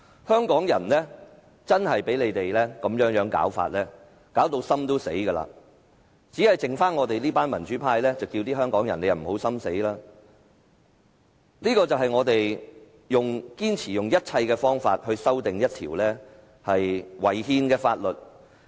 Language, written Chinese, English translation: Cantonese, 香港人被他們這種做法弄至心死，只剩下我們這群民主派呼籲香港人不要心死，這就是我們堅持用盡一切方法來修訂這項違憲的《條例草案》的原因。, We in the pro - democracy camp are the remaining ones calling on Hongkongers not to lose hope . This is the reason for our insistence on trying every means to amend this Bill which is unconstitutional